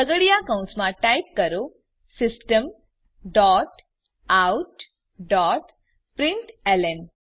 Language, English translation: Gujarati, Within curly brackets type System dot out dot println